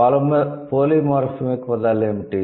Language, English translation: Telugu, And what are the polymorphemic words